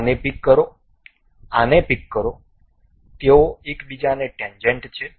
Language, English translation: Gujarati, Pick this one, pick this one, they are tangent to each other